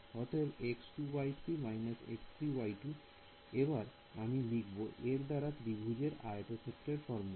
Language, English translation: Bengali, So, x 2 3 minus x 3 y 2, I will just write down the explicitly area of triangle formula